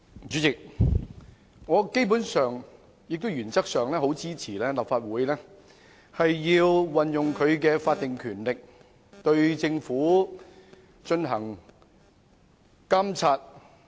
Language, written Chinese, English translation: Cantonese, 主席，我基本上及原則上支持立法會運用法定權力，對政府進行監察。, President I basically and in principle support the Legislative Council to invoke its statutory power to monitor the Government